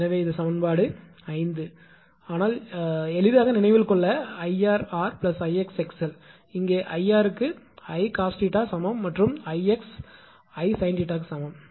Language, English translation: Tamil, So, this is equation 5 right but for easy remembering I r into r plus I x into x l right; where I r is equal to I cos theta and I x is equal to I sin theta right